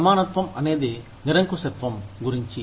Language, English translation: Telugu, Equality is about absolutism